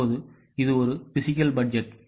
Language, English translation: Tamil, Now this is a physical budget